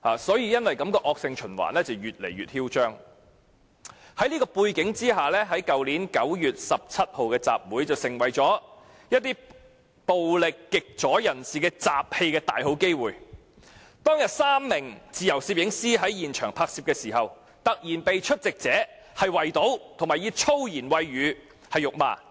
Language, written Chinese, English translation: Cantonese, 在此背景下，去年9月17日的集會便成為暴力極左人士滋事的大好機會。當天，有3名自由攝影師在現場拍攝時，突然被出席者圍堵及以粗言穢語辱罵。, Against this background the rally on 17 September last year has become a perfect opportunity for these extreme leftists who are prone to violence to stir up trouble and three freelance photographers who covered the event at the scene then were suddenly surrounded and sworn at with foul language by attendees of the rally